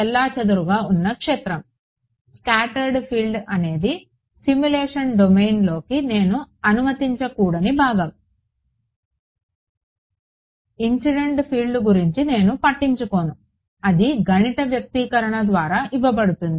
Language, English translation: Telugu, The scattered field is; the scattered field is the part I should not allow to come back in to the simulation domain right incident field I do not care about its given by a mathematical expression